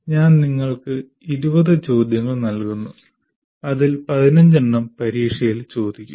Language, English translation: Malayalam, I give you 20 questions out of which 15 will be asked, which happens everywhere